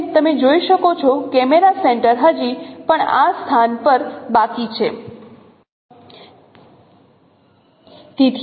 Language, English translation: Gujarati, As you can see, camera center is still remaining at this position